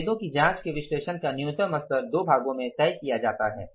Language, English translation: Hindi, Now what is the minimum level of analysis of investigating the variances is decided in two parts